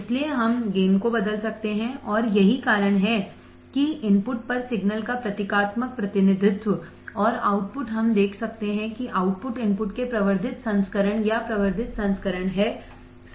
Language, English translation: Hindi, So, we can change the gain and that is why the symbolic representation of the signal at the input and the output we can see that the output is magnified version or amplified version of the input, correct